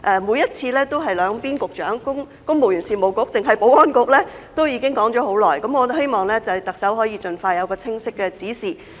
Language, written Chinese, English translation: Cantonese, 每次也在考究由公務員事務局局長抑或保安局局長負責，這問題已經討論了很久，我希望特首可以盡快有清晰的指示。, There is always the debate on whether the Secretary for the Civil Service or the Secretary for Security should take charge of the matter and this has gone on for a very long time . I hope that the Chief Executive can give clear instructions expeditiously